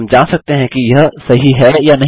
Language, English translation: Hindi, We can check if its correct